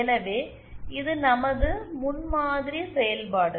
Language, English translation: Tamil, So, this was our prototype function